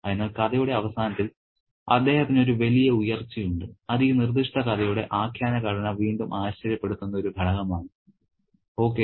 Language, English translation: Malayalam, So, there is a big rise for him at the end of the story and that's again a surprise element brought about by the narrative structure of this particular story